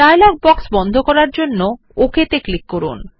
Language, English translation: Bengali, Click on OK to close the dialog box